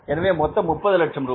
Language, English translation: Tamil, We are going to earn 30 lakh rupees